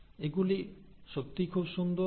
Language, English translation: Bengali, They are really very nice